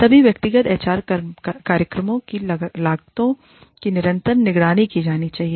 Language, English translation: Hindi, The costs of all individual HR programs, should be continuously monitored